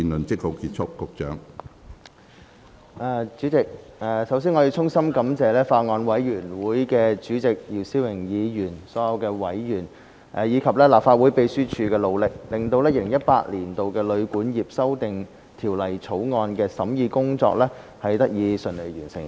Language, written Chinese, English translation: Cantonese, 主席，首先，我要衷心感謝法案委員會主席姚思榮議員、所有委員，以及立法會秘書處的努力，令《2018年旅館業條例草案》的審議工作得以順利完成。, President first of all I would like to sincerely thank Mr YIU Si - wing Chairman of the Bills Committee all other members and the Legislative Council Secretariat for their efforts so that the deliberation of the Hotel and Guesthouse Accommodation Amendment Bill 2018 the Bill can be smoothly concluded